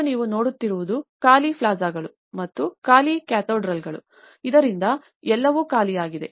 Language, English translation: Kannada, Today, what you see is an empty plazas and empty cathedrals, so all together an empty one